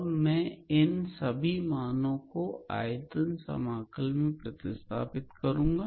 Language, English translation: Hindi, So, I will substitute all these values in our volume integral, right